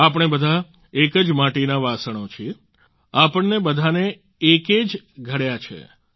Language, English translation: Gujarati, All of us are earthen vessels of one clay; all of us have been coiled and shaped by the One